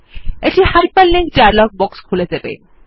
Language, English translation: Bengali, This will open the hyperlink dialog box